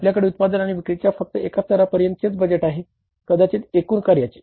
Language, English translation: Marathi, You have the budget only for one level of production and the sales may be the overall performance